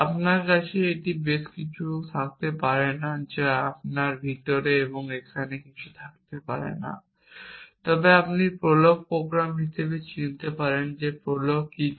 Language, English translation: Bengali, You cannot have more than you cannot have alls inside here and so and so forth, but you can recognizes as the prolog programme what does prolog do